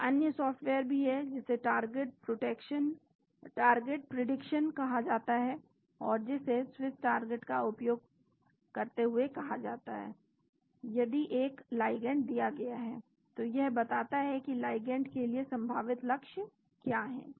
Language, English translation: Hindi, There is also another software that is called target prediction and that is called using Swiss target, given a ligand it tells you what are the possible targets for the ligand